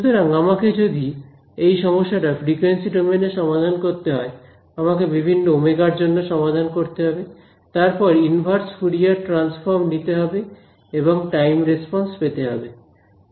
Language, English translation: Bengali, So, if I wanted to solve this problem in frequency domain, I have to solve for various omegas; then take the inverse Fourier transform and get the time response